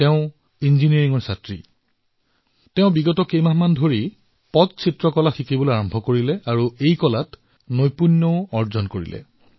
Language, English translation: Assamese, Although she is a student of Engineering, in the past few months, she started learning the art of Pattchitra and has mastered it